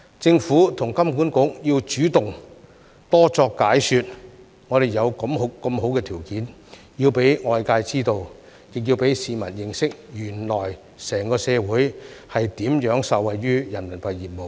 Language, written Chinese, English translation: Cantonese, 政府和金管局要主動多作解說，我們有如此好的條件，要讓外界知道，亦要讓市民認識，原來整個社會如何受惠於人民幣業務。, The Government and the Hong Kong Monetary Authority need to take the initiative to explain more . We should make it known to the world that we have such favourable conditions . We should also let the public know how the whole society can actually benefit from RMB business